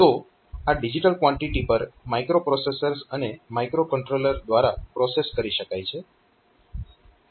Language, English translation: Gujarati, So, this digital quantities can be processed by microprocessors and microcontrollers